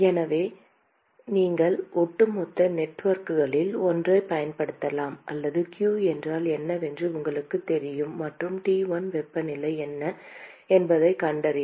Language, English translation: Tamil, So, you can use either of overall networks or you know what q is and you can find out what the temperature T1 is